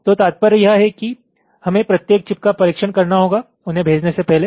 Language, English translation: Hindi, so the bottom line is we need to test each and every chip before they can be shipped